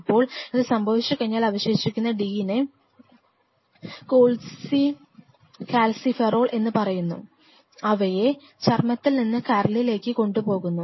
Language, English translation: Malayalam, Now once that happens this is remaining d which is also called cholecalciferol, cholecalciferol from a, from your skin just think of it, from your skin is transported to the liver